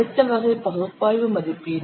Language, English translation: Tamil, Then next category is analytical estimation